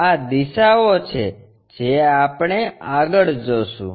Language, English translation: Gujarati, These are the directions what we will see